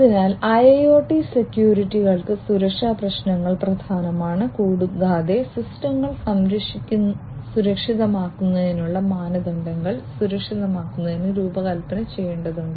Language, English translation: Malayalam, So, for industrial internet IIoT securities security issues are important and securing the standards for securing the systems are required to be designed